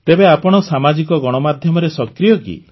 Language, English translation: Odia, So are you active on Social Media